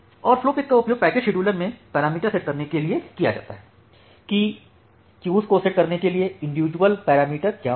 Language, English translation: Hindi, And the flowspec it is used to set the parameters in the packet scheduler that, what would be the individual parameters to setting up the queues